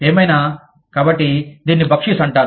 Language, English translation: Telugu, Anyway, so, it is called Baksheesh